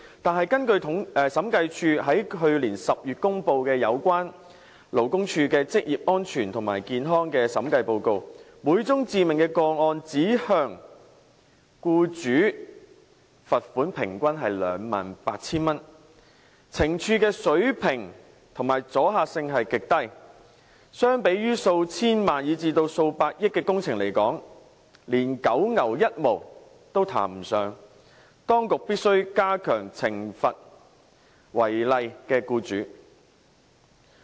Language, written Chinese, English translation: Cantonese, 但是，根據審計署在去年10月公布有關勞工處的職業安全及健康的審計報告，每宗致命個案只向僱主罰款平均 28,000 元，懲處水平和阻嚇性極低，相比於數千萬元、以至數百億元的工程來說，連九牛一毛也談不上，當局必須加強懲罰違例的僱主。, But according to the audit report released by the Audit Commission in October last year concerning the Labour Departments promotion of occupational safety and health the employer involved in each fatal case was merely fined 28,000 on average . The punitive and deterrent effects of this amount are extremely low . Compared to those works projects worth dozens of millions or billions of dollars it is even less than a drop in the ocean